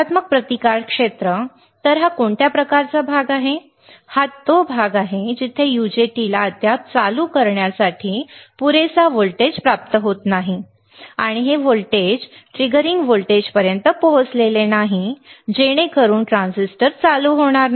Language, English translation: Marathi, Negative resistance region; so, what is kind of region that this is the region where the UJT does not yet receive enough voltage to turn on and this voltage hasn't reached the triggering voltage so that the transistor will not turn on